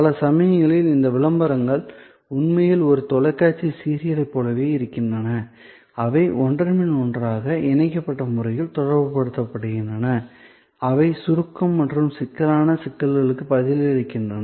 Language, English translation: Tamil, So, many times these ads actually are almost like a TV serial, they go one after the other in a linked manner, trying to communicate both response to abstractness as well as response to complexities that may be involved